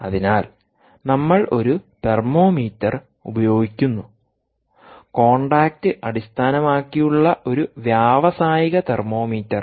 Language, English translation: Malayalam, so we use a thermometer, an industrial thermometer, contact based